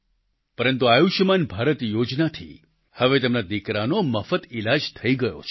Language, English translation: Gujarati, But due to the 'Ayushman Bharat' scheme now, their son received free treatment